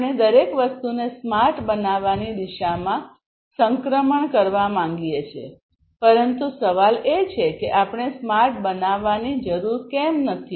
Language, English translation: Gujarati, We want to transition towards making everything smart by, but the question is that why at all we need to make smart